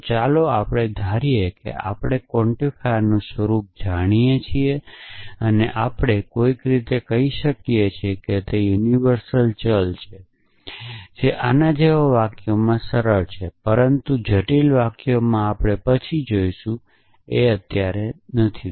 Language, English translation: Gujarati, So, let us assume that we know the nature of the quantifier and we can somehow say that is a universally quantified variable, which is easy in sentences like this, but in more complex sentences we will see later it is not